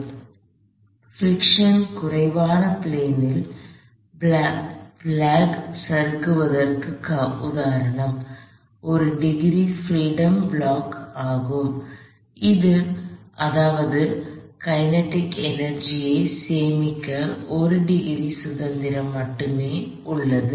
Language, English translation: Tamil, So, the previous example of just the block sliding on a friction less plane was a single degree of freedom block that is it had only 1 degree of freedom to store kinetic energy